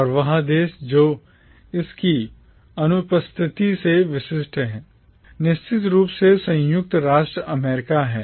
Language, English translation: Hindi, And that country which is conspicuous by its absence is of course the United States of America